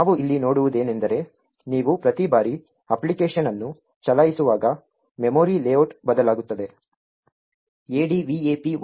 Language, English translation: Kannada, So, what we see over here is that the memory layout changes every time you run the application